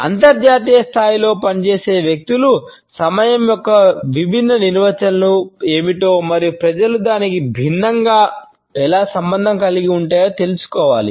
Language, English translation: Telugu, People who work at an international level must know what are the different definitions of time and how do people relate to it differently